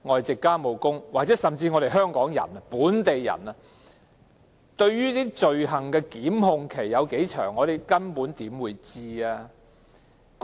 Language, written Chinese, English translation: Cantonese, 即使香港人、本地人大多數不知道罪行控檢期有多長，更何況外傭？, Most people do not have any idea about the exact time limit for prosecution of an offence . This is true even for Hongkongers and the locals not to mention foreign domestic helpers